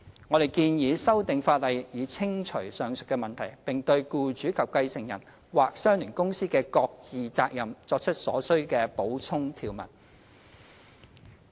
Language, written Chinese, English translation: Cantonese, 我們建議修訂法例以清除上述問題，並對僱主及繼承人或相聯公司的各自責任作出所需的補充條文。, We propose that legislative amendments be made to remove the doubt and make necessary supplementary provisions on the respective obligations of the employer and the successor or the associated company